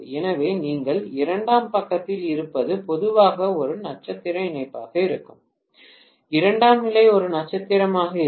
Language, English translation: Tamil, So, what you have on the secondary side will be normally a star connection, secondary will be a star